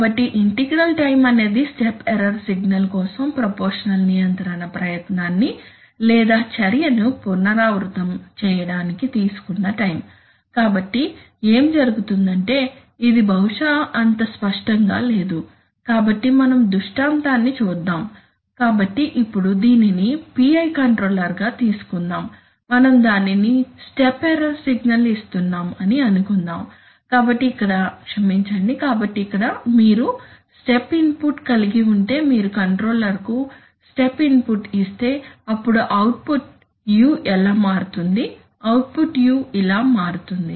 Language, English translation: Telugu, So integral time is the time taken to repeat the proportional control effort or action for a step error signal, so what happens is that let us this probably not so clear, so let us look at the scenario, so now, suppose take this as a PI controller right this is a PI control controller, suppose we are giving a step error signal to it, so here we have i am sorry, so here we have a step input if you give a step input like this to the controller then how will they u output vary, the u output will vary like this